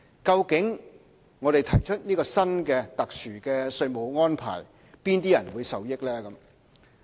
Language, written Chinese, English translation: Cantonese, 究竟我們提出這個新的、特殊的稅務安排，哪些人會受益呢？, Who will actually be the beneficiaries of this new and special tax arrangement we have proposed?